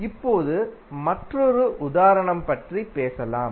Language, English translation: Tamil, Now, let us talk about another example